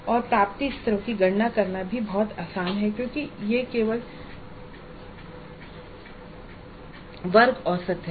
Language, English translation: Hindi, And it is very easy to compute the attainment levels also because it is only the class average